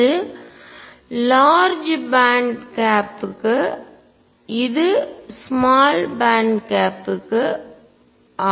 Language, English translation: Tamil, This is for large gap, and this is for small band gap